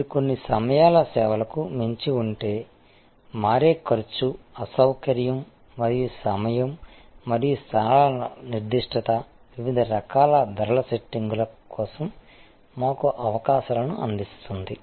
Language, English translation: Telugu, If you go beyond there are certain times of services, where the switching cost, inconvenience and time and locations specificity can give us opportunities for different types of price setting